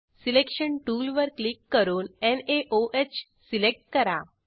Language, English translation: Marathi, Click on Selection tool and select NaOH